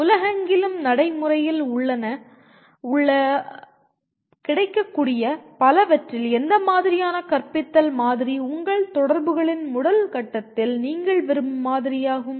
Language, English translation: Tamil, Which model of teaching out of the many that are available, that are practiced around the world which is the model that you would like to rather at the first stage of your interaction with this which is the one that you would prefer